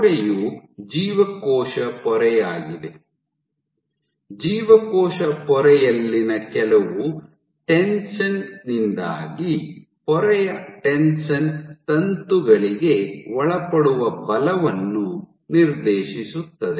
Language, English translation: Kannada, The wall is nothing, but the cell membrane itself, because of some tension in the cell membrane, tension of the membrane dictates the force the filaments are subjected to